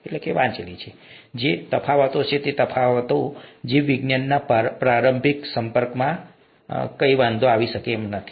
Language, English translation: Gujarati, There are differences but those differences will not matter for an initial exposure to biology